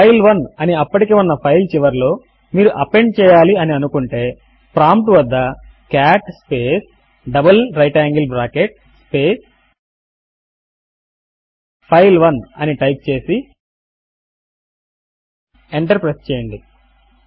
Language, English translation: Telugu, Now if you wish to append to the end of an existing file file1 type at the prompt cat space double right angle bracket space file1 and press enter